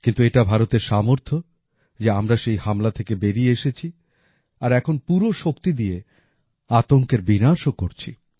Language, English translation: Bengali, But it is India's fortitude that made us surmount the ordeal; we are now quelling terror with full ardor